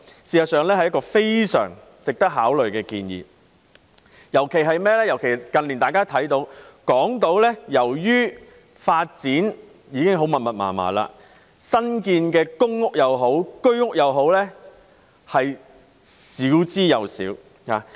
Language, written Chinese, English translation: Cantonese, 事實上，這是一項非常值得考慮的建議，尤其是近年港島的發展已經非常密集，新建的公屋及居屋亦少之又少。, In fact this suggestion is very worthy of consideration particularly given the very intensive development and extremely limited supply of new public rental housing PRH units and Home Ownership Scheme HOS flats on Hong Kong Island in recent years